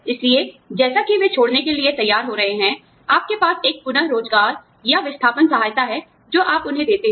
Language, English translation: Hindi, So, as they getting ready to leave, you have a re employment, or outplacement kind of help, that you give to them